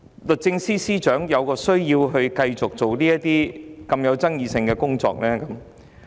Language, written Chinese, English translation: Cantonese, 律政司司長為何需要繼續處理這些具爭議性的工作？, Why did the Secretary for Justice continue to handle these controversial tasks?